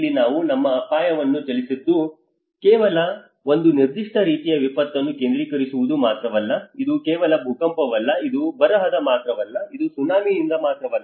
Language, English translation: Kannada, Here we have moved our dimension not just only focusing on a particular type of a disaster, it is not just only earthquake, it is not only by a drought, it is not by only tsunami